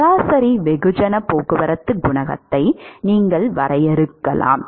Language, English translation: Tamil, You can define average mass transport coefficient